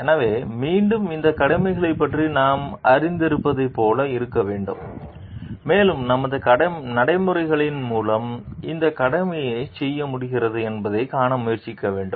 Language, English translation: Tamil, So, like again, we should be like we should be knowledgeable about these duties and we should try to see that through our practices, we are able to do this duty